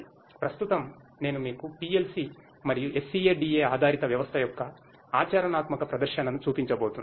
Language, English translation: Telugu, Right now, I am going to show you a practical demonstration of the use of PLC and SCADA based system